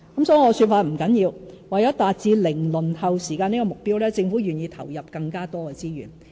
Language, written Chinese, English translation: Cantonese, 甚麼說法不打緊，為了達致"零輪候"時間的目標，政府願意投入更多資源。, Anyway no matter how you put it the important thing is that the Government is prepared to allocate more resources to achieve zero - waiting time